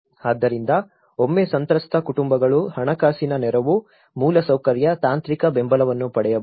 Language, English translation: Kannada, So, once the affected families could receive the financial aid, infrastructure, technical support